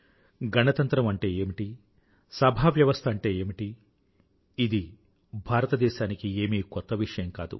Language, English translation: Telugu, What is a republic and what is a parliamentary system are nothing new to India